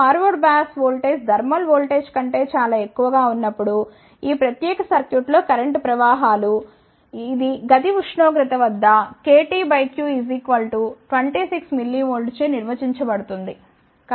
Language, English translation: Telugu, The current flows in this particular circuit, when the forward bias voltage is much greater than the thermal voltage, which is defined by the KT by q and that is 26 millivolt at room temperature